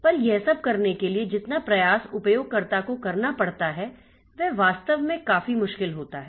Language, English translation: Hindi, But the amount of effort that the user needs to take, so that actually makes it difficult